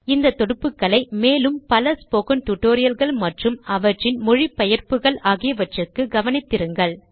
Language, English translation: Tamil, Keep watching these links for more spoken tutorials and their translation in other languages